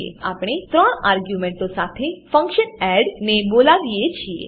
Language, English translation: Gujarati, Then we call the function add with three arguments